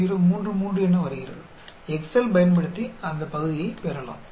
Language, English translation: Tamil, 033 area we can get it using excel